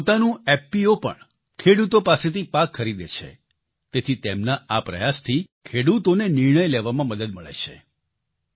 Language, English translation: Gujarati, His own FPO also buys produce from farmers, hence, this effort of his also helps farmers in taking a decision